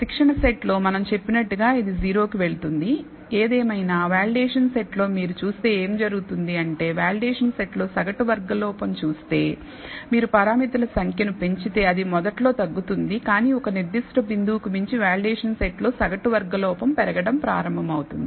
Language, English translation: Telugu, So, it will goes to a 0 as we said on the training set; however, on the validation set what will happen is, if you look at the mean squared error on the validation set, that will initially decrease as you increase the number of parameters, but beyond a certain point the mean squared error on the validation set will start increasing